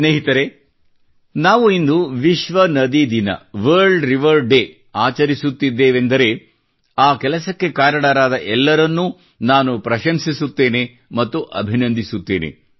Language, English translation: Kannada, when we are celebrating 'World River Day' today, I praise and greet all dedicated to this work